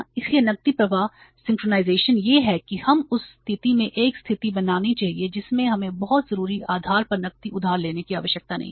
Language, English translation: Hindi, So, cash flow synchronization is that we should create a situation in the firm that we are not required to borrow the cash on a very, say urgent basis